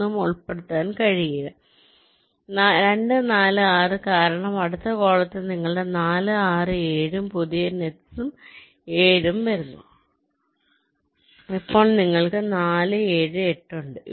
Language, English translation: Malayalam, you cannot include anything is two, four, six, because in the next column your four, six, seven and new nets, seven, is coming in